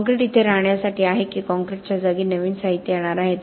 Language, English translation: Marathi, Is concrete here to stay or will there be a new material that is going to replace concrete